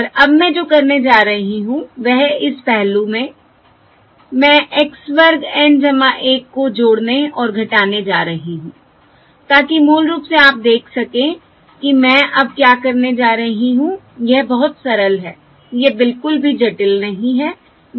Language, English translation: Hindi, And now what I am going to do is, from this factor over here, I am going to add and subtract x square of N plus 1, so that basically, you can see what I am going to do now